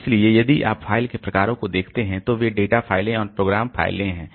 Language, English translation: Hindi, So, if you look into the types of the file they can they are data files and program files